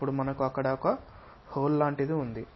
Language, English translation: Telugu, Now we have something like a hole there